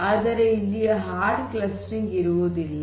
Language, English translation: Kannada, So, you do not have hard clustering